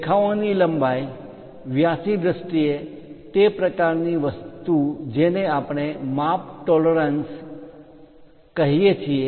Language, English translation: Gujarati, In terms of lines lengths diameter that kind of thing what we call size tolerances